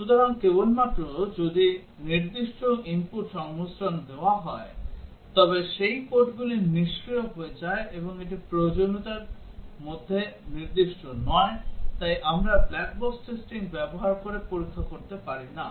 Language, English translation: Bengali, So only if certain input combination is given those code becomes active and that is not specified in the requirement, so we cannot test that using black box testing